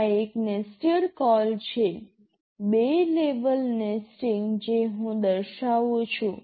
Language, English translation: Gujarati, This is a nested call, two level nesting I am demonstrating